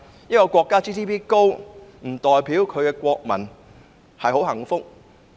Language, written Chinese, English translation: Cantonese, 一個國家的 GNP 高亦不代表其國民很幸福。, A countrys high GNP does not imply that its nationals are happy